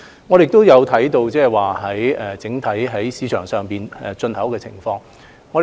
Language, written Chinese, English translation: Cantonese, 我們也有留意整體市場上有關物資的進口情況。, We have also noted the import of such supplies in the market